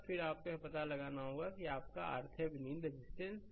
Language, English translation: Hindi, And then you have to find out also that your R Thevenin, Thevenin resistance